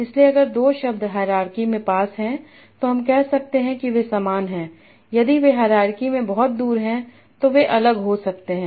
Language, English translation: Hindi, So if two words are near in the hierarchy, I might say they are similar